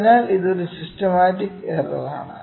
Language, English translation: Malayalam, So, this is a systematic error, ok